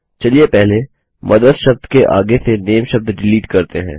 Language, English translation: Hindi, Let us first delete the word NAME after the word MOTHERS